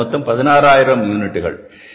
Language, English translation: Tamil, So it is increased up to 16,000 units